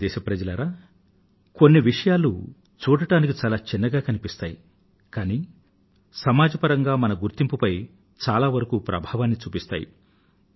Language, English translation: Telugu, My dear countrymen, there are a few things which appear small but they have a far reaching impact on our image as a society